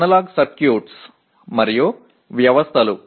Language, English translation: Telugu, Analog circuits and systems